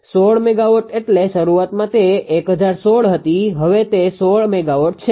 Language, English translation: Gujarati, 16 megawatt means initially it was 1016 now it is 16 megawatt